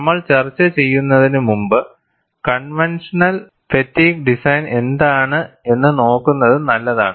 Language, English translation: Malayalam, And before we discuss, it is good to look at, what is the conventional fatigue design